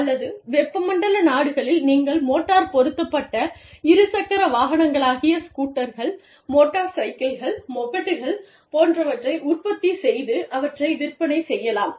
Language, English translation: Tamil, And, in say the, or in the tropical countries, you could be manufacturing, motorized two wheelers, scooters, motorbikes, mopeds, etcetera